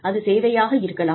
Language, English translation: Tamil, It is services